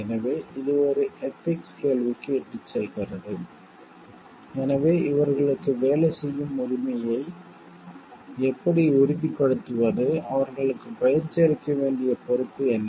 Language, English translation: Tamil, So, this leads to an ethical question, so how to like ensure the right to work for these people, what is the responsibility to train them